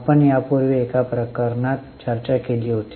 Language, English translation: Marathi, We had discussed in one of the cases earlier